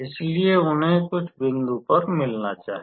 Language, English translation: Hindi, So, they must meet at some point